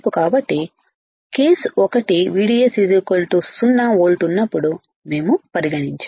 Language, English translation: Telugu, So, case one we have considered when VDS equals to 0 volt